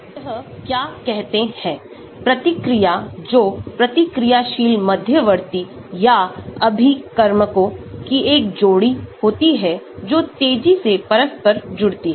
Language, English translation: Hindi, What is says is, the reaction that has a pair of reactive intermediates or reactants that interconvert rapidly